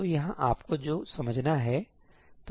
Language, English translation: Hindi, So here is what you have to understand, right